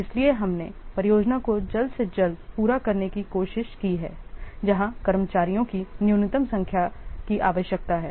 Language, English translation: Hindi, So, we have tried to complete the project by the earliest completion date where a minimum number of staff is required